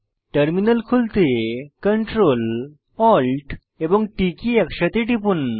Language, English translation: Bengali, Press CTRL, ATL and T keys simultaneously to open the Terminal